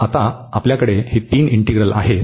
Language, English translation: Marathi, So, now we have these three integrals